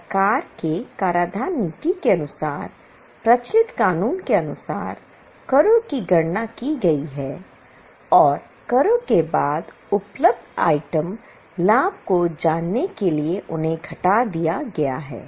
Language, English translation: Hindi, As per the prevailing law, as per the taxation policy of the government, the taxes have been calculated and they have been deducted to know the final profits available after taxes